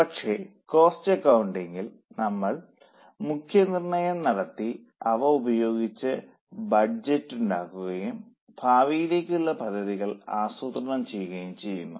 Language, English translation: Malayalam, But in cost accounting we make estimates and those estimates are also used to make budgets or to make future projections